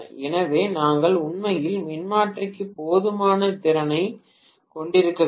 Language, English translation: Tamil, So, we are really not having sufficient capacity for the transformer